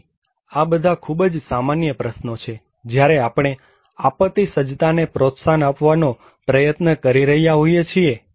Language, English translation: Gujarati, So, these are very common questions when we are trying to promote disaster preparedness